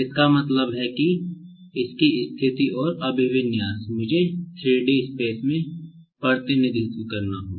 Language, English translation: Hindi, So, this is the way, actually, we can represent the position and orientation of a 3 D object in 3 D space